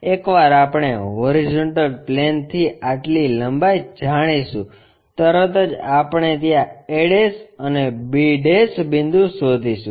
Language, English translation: Gujarati, Once we know from the horizontal plane this much length, immediately we will locate a' and b' point there